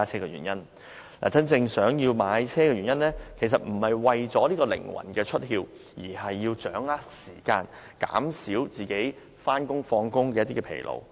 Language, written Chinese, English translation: Cantonese, 買車的真正原因，其實不是為了靈魂出竅，而是要掌握時間，減少上下班的疲勞。, The real reason for buying a car is not for any freedom of the soul around . In fact people purchase a car to better manage time and reduce the fatigue of travelling to and from work